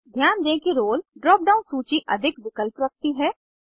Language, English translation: Hindi, Notice that Role drop down list has more options